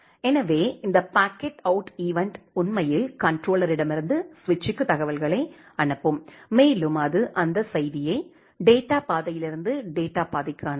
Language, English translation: Tamil, So, this packet out event will actually send the information from the controller to the switch and it will send that message to the data path from the data path